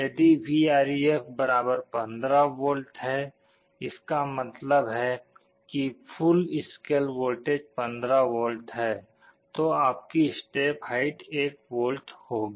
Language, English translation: Hindi, If Vref = 15 V; that means, the full scale voltage is 15V then your step height will be 1 volt